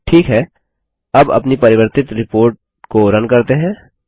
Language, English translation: Hindi, Okay, let us run our modified report now